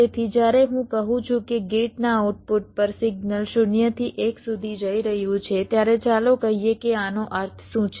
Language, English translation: Gujarati, so when i say that the signal at the output of a gate is going from zero to one, let say what does this mean